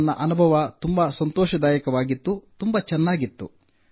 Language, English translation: Kannada, My experience was very enjoyable, very good